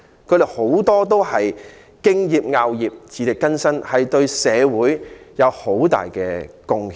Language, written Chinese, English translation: Cantonese, 他們很多都敬業樂業，自力更生，對社會有很大貢獻。, Many of them respect and enjoy their work are self - reliant and make significant contribution to society